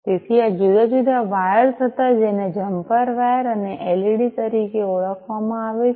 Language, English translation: Gujarati, So, these were these different wires these are known as the jumper wires and the led